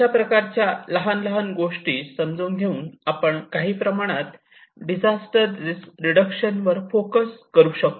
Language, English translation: Marathi, This is one thing which we have to understand, and this is a very little focus in on disaster risk reduction